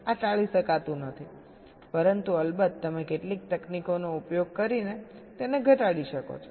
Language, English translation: Gujarati, this cannot be avoided, but of course you can reduce it by using some techniques